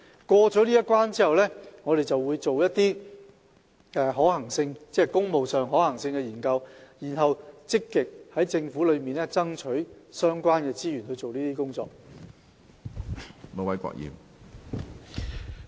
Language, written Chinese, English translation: Cantonese, 過了這關，我們便會進行工務工程的可行性研究，然後積極向政府爭取資源以進行相關工作。, After the consultation stage we will carry out feasibility studies on the public works projects and then actively bid for government resources for carrying out the related works